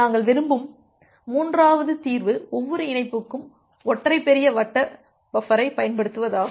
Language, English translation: Tamil, The third solution that we prefer is to use single large circular buffer for every connection